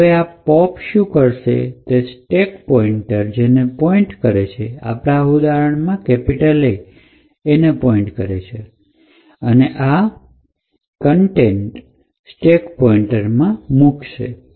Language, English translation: Gujarati, So, what this pop instruction does is that it pops the contents of the location pointed to by the stack pointer in this case A and stores these particular contents in the stack pointer